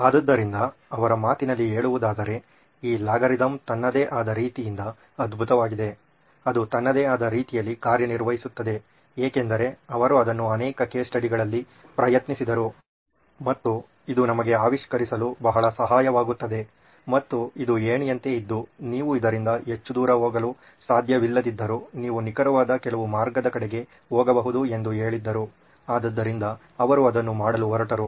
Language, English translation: Kannada, So he in his own words he says that this algorithm is great on its own, it works on its own because he tried it on so many case studies but he said this can be a great aid to invent us, it can be like a ladder guiding them okay if you should not go too far away from this but you can actually go towards certain path